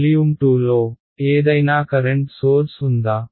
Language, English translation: Telugu, In volume 2, was there any current source